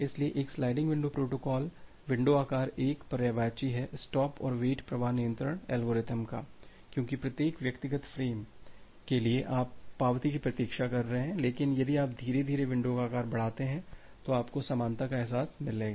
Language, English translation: Hindi, So, a sliding window protocol window size 1 is somehow synonymous to a stop and wait flow control algorithm, because for every individual frame you are waiting for the acknowledgement, but if you increase the window size gradually you will get the feel of parallelism